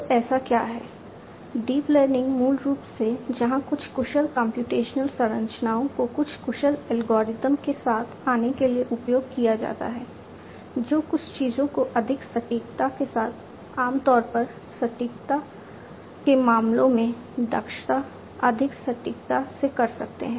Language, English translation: Hindi, So, what is you know so, deep learning is basically where some deep computational structures are used to come up with some efficient algorithms which can do certain things much more efficiently with grater greater accuracy; efficiency in terms of accuracy, typically